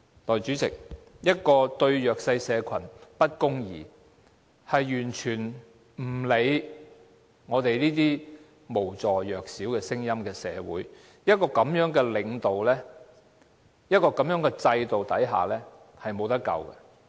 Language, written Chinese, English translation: Cantonese, 代理主席，一個對弱勢社群不公義，完全不理會無助弱小聲音的社會，在這樣的領導和制度下是無可救藥的。, However the development of children cannot wait . Deputy President when a society is not doing the disadvantaged groups justice and is totally oblivious to their voices it is beyond remedy under such a leadership and system